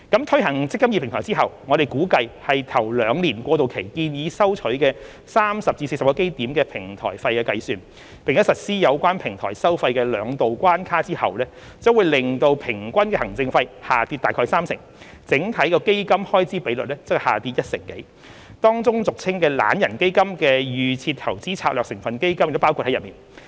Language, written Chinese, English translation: Cantonese, 推行"積金易"平台後，我們估計以首兩年過渡期建議收取的30至40基點平台費計算，並實施有關平台收費的兩道關卡後，將可令平均行政費下跌約三成，整體基金開支比率則下跌一成多，當中俗稱"懶人基金"的預設投資策略成分基金亦包括在內。, After the implementation of the eMPF Platform we estimate that with the proposed platform fee level of 30 to 40 basis points for the first two years of the transition period and the imposition of two barriers on platform fee the average scheme administration fee will drop by about 30 % and the overall FER will drop by more than 10 % including that of DIS constituent funds which are commonly known as lazybones funds